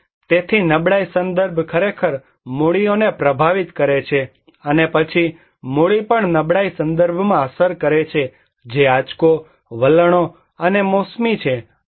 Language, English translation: Gujarati, And so vulnerability context actually influencing the capitals, and capital then also influencing the vulnerability context which are shock, trends and seasonality